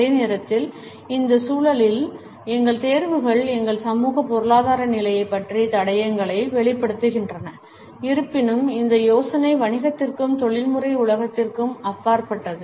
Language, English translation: Tamil, At the same time our choices in this context convey clues about our socio economic status, however the idea extends beyond the business and the professional world